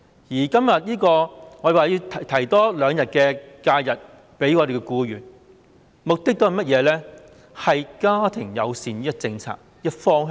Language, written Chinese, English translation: Cantonese, 我們今天要求向僱員額外增加兩天侍產假，目的是推動家庭友善的政策方向。, Today we ask for two extra days of paternity leave for employees with the aim of promoting the policy direction of formulating family - friendliness